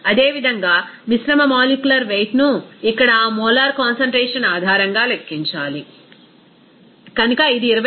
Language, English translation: Telugu, Similarly, mixture molecular weight has to be calculated based on that molar concentration here, so it will be as 25